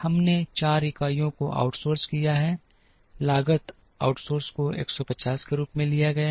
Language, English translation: Hindi, We have out sourced 4 units the cost outsourcing is taken as 150